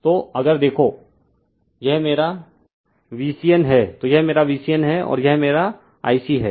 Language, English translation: Hindi, So, if you look into that that this is my V c n right this is my V c n and this is my I c